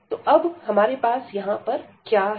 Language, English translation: Hindi, So, now what do we have here